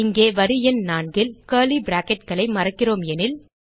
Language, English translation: Tamil, Suppose here, at line number 4 we miss the curly brackets